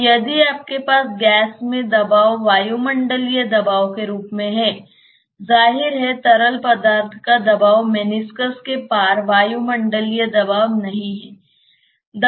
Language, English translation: Hindi, So, if you have the pressure in the gas as a atmospheric pressure; obviously, the pressure in the liquid is not atmospheric pressure across the meniscus